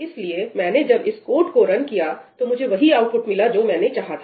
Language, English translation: Hindi, So, when I run this code, I get the output that I expected